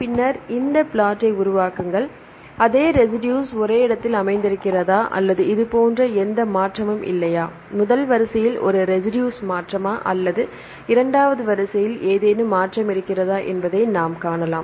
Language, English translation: Tamil, And then form this plot, we can see whether the same residue is located at the same place or there is any shift like this is one residue shift in the first sequence or any shift in the second sequence that there we will see